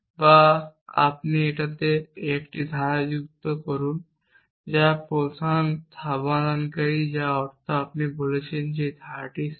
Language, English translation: Bengali, And then you replace or you add 1 more clause to this which is the first resolvent which means you are saying that this set of clause